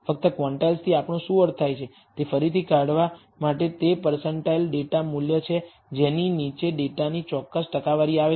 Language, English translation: Gujarati, Just to recap what do we mean by quantile it is a percentile data value below which a certain percentage of data lies